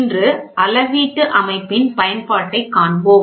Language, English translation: Tamil, So, today we will see the application of measured system